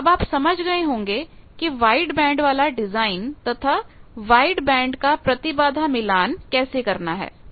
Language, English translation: Hindi, So, now, you understood how to do a wide band design, wide band impedance matching